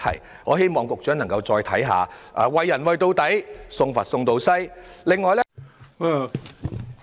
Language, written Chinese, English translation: Cantonese, 因此，我希望局長可以再三考慮，"為人為到底，送佛送到西"。, Therefore I hope that the Secretary will revisit the proposal and carry the good deed through to the end